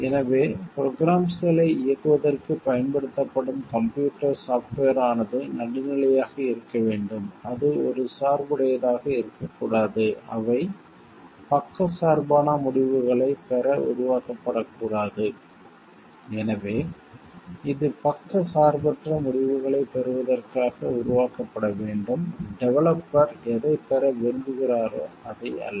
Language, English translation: Tamil, So, the computer software which are used for running the programs should be neutral, it should not be biased to get they should not be created to get biased results; so it should be created to get unbiased results and not what the developer intends to get